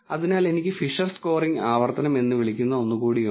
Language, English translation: Malayalam, So, I have something called the Fisher scoring iteration